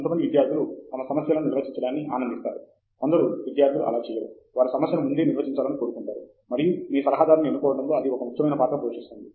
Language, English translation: Telugu, Some students enjoy the defining their own problems, some students don’t; they want the problem to be predefined and that plays an important role in choosing your advisor